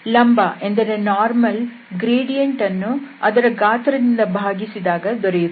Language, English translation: Kannada, So the gradient and it will be divided by its magnitude